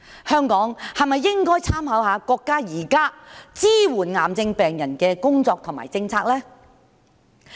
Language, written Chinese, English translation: Cantonese, 香港是否應該參考國家現時支援癌症病人的工作及政策呢？, Should Hong Kong make reference to the current efforts and policies of our nation on supporting cancer patients?